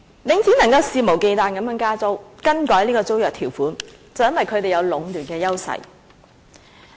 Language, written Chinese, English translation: Cantonese, 領展能夠肆無忌憚地加租，更改租約條款，便是因為它有壟斷的優勢。, That Link REIT can raise rents and change the terms of the leases with impunity can be attributed to its monopolistic position